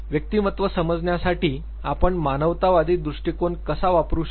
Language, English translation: Marathi, How can we use humanistic approach to understand personality